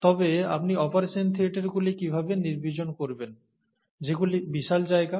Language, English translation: Bengali, But how do you sterilize operation theatres, okay, which are huge spaces